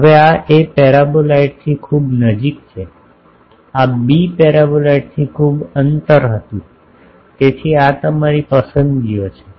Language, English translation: Gujarati, Now this A is much nearer to paraboloid this B was much distance from paraboloid so, these are your choices